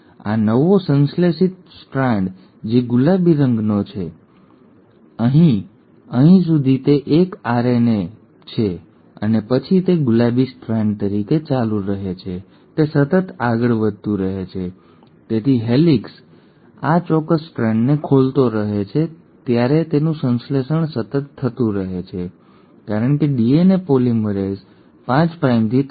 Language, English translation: Gujarati, Now this newly synthesised strand which is pink in colour, this one, right, till here it is a RNA and then it continues as a pink strand; it keeps on continuously moving, so as the helicase keeps on unwinding this particular strand is continuously getting synthesised because DNA polymerase works in the 5 prime to 3 prime direction, and one primer is enough to keep the extension going